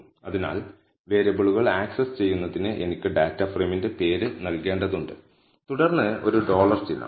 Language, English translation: Malayalam, So, in order to access the variables, I need to give the name of the data frame followed by a dollar symbol